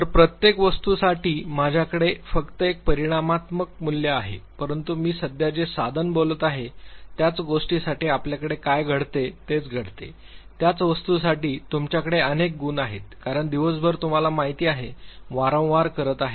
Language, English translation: Marathi, So, for each item I have just one quantitative, value whereas in the tool that I am talking right now to you what happens you have for the same thing, for the same item, you have multiple scores because throughout the day you have been know doing it repeatedly